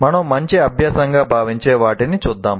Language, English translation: Telugu, Now let us look at what we consider as a good practice